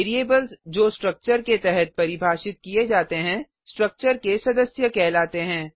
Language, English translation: Hindi, Variables defined under the structure are called as members of the structure